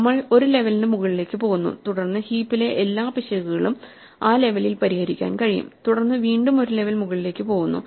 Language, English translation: Malayalam, We go one level above and then we can fix all heap errors at one level above right and then again we move one level above and so on